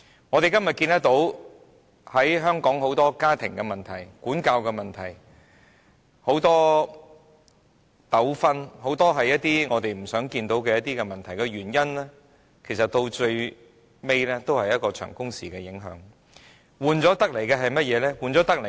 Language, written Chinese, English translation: Cantonese, 我們今天看到香港很多家庭問題、管教問題、很多糾紛，以及很多我們不想看到的問題，歸根究底也是長工時的影響，換來的是甚麼？, If we look at the many family problems child rearing problems disputes and many problems that we do not wish to see in Hong Kong nowadays ultimately all of them are attributable to the long working hours . But what do we get in return?